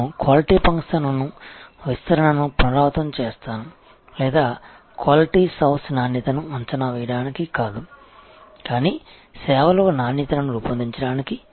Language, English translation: Telugu, And I will repeat Quality Function Deployment or house of quality is not for assessment of quality, but for designing quality in the service